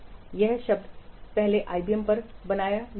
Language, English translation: Hindi, This term was first coined at IBM